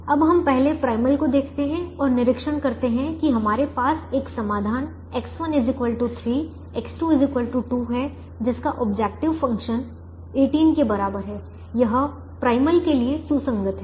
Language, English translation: Hindi, let us first look at the primal and observe that we have a solution: x one equal to three, x two equal to two, with objective function equal to eighteen is feasible to the primal